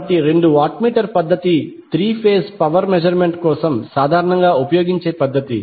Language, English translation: Telugu, So the two watt meter method is most commonly used method for three phase power measurement